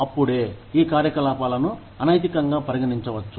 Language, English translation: Telugu, Only then, can these activities, be considered as unethical